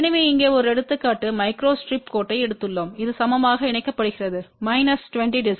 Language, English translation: Tamil, So, here is an example where we have taken a micro strip line which is for coupling equal to minus 20 db